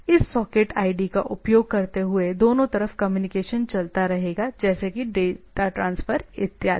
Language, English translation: Hindi, Using this socket id the rest of the communication goes on like data transfer and others, etcetera, both way, etcetera